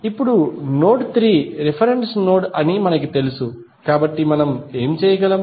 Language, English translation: Telugu, Now, since we know that node 3 is the reference node so what we can do